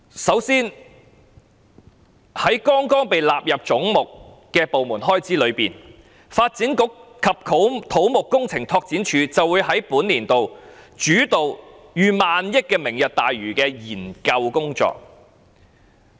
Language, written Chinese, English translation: Cantonese, 首先，在剛剛被納入總目的部門開支中，發展局及土木工程拓展署會在本年度主導逾億元的"明日大嶼願景"的研究工作。, First of all in the estimated expenditures for the departments just incorporated under the heads the Development Bureau and the Civil Engineering and Development Department will be in charge of over 1,000 billion in the study work for Lantau Tomorrow Vision in this financial year